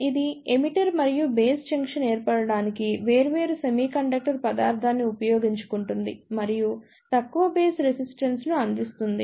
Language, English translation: Telugu, It utilizes the different semiconductor material to form emitter and base junction and provides low base resistance